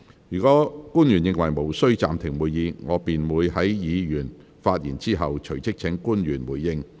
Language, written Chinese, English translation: Cantonese, 若官員認為無須暫停會議，我便會在議員發言後，隨即請官員回應。, If public officers consider the suspension of meeting not necessary I will invite them to respond right after Members have spoken